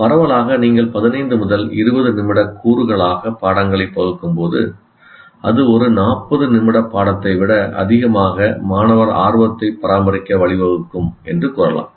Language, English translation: Tamil, So broadly, you can say packaging lessons into 15 to 20 minute components is likely to result in maintaining greater student interest than one 40 minute lesson